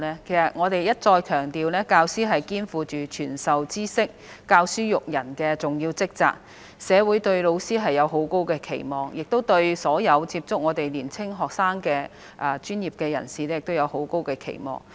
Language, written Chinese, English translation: Cantonese, 其實，我們已一再強調，教師肩負傳授知識、教書育人的重要職責，社會對老師有很高的期望，亦對所有接觸年輕學生的專業人士有很高期望。, In fact we have repeatedly stressed that teachers shoulder the heavy responsibility of imparting knowledge and educating people and that the public have high expectations of teachers and all professionals working with young students